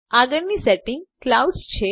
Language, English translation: Gujarati, Next setting is Clouds